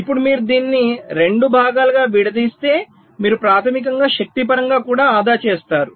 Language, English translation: Telugu, ok, this is the idea now if you break it up into two parts, so you basically save in terms of the energy also